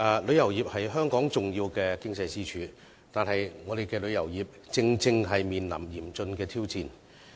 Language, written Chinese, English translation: Cantonese, 旅遊業是香港重要的經濟支柱，但我們的旅遊業卻正面臨嚴峻的挑戰。, Tourism is an important pillar of Hong Kongs economy but our tourism industry is now facing a serious challenge